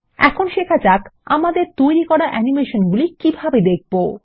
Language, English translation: Bengali, Let us now learn to view the animation effects we have made